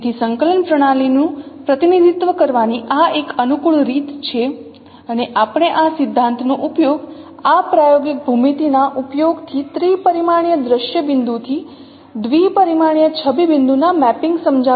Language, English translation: Gujarati, So this is a convenient way of representing the coordinate system and we will use this principle while explaining the mapping of three dimensional sync point to two dimensional image point using this kind of projective geometry